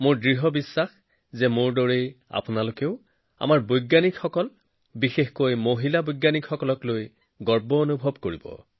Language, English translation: Assamese, I am sure that, like me, you too feel proud of our scientists and especially women scientists